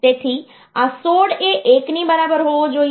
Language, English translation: Gujarati, So, this 16 must be equal to 1